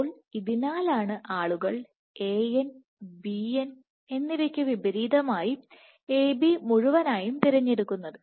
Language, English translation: Malayalam, So, this is why people prefer A B whole n as opposed to An Bn